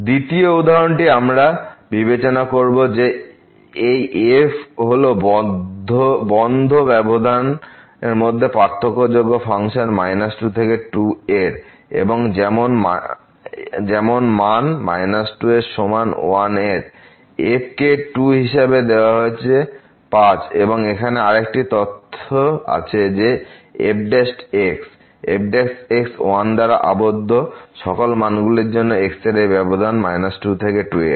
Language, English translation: Bengali, The second example we will consider that this is the differentiable function on the closed interval minus to and such that the value is given as minus is equal to , is given as 2 as and there is another information here that prime ; prime is bounded by for all values of in this interval minus 2 to